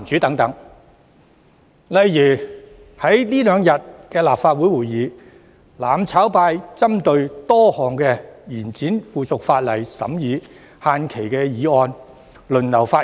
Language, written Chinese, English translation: Cantonese, 在這兩天的立法會會議上，"攬炒派"針對多項延展附屬法例審議限期的議案輪流發言。, During the Legislative Council meeting of these two days the mutual destruction camp has taken turns to speak on a number of resolutions to extend the scrutiny period for certain subsidiary legislation